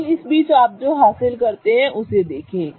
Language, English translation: Hindi, But in the meanwhile look at what you achieve